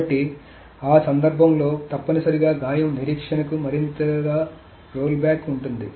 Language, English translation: Telugu, So in that case, essentially the wound weight has more rollback